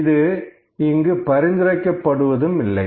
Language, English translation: Tamil, So, this is not recommended here